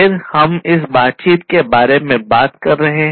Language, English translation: Hindi, Then we are talking about this interaction